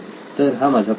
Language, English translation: Marathi, Will be my question